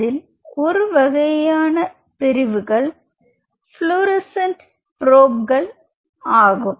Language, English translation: Tamil, And the kind of probe are we talking about is called fluorescent probes